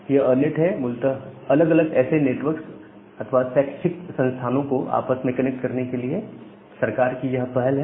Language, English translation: Hindi, So, this ERNET it is basically government initiative to interconnect different such networks or different educational institute altogether